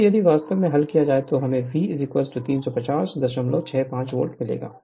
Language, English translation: Hindi, So, from which if you solve, you will get V is equal to 350